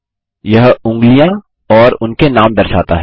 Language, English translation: Hindi, It displays the fingers and their names